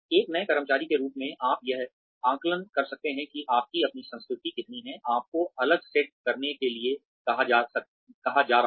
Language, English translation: Hindi, As a new employee, you can assess, how much of your own culture, you are being asked to set aside